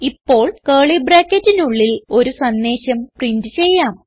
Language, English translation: Malayalam, Alright now inside the curly brackets, let us print a message